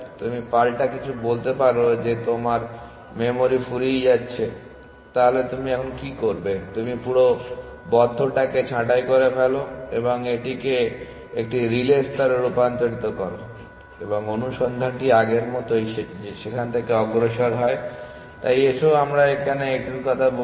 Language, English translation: Bengali, So, your counter something tells you that you are running out of memory, so what do you do you prune the entire closed and convert this into a relay layer and search progresses from there as before, so let us say its con here